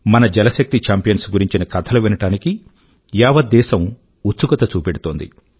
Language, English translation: Telugu, Today the entire country is eager to hear similar accomplishments of our Jal Shakti champions